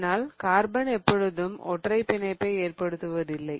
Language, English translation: Tamil, Okay, but carbon always doesn't just form single bonds